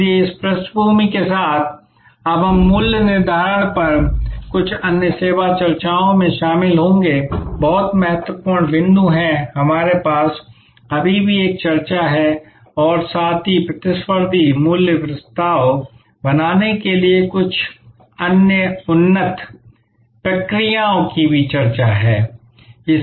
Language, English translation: Hindi, So, with this background, now we will get into some of the other more the remaining discussions on pricing, very important point that we still have an discussed as well as some other more advanced processes for creating the competitive value proposition